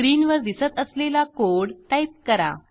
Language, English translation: Marathi, Type the piece of code as shown on the screen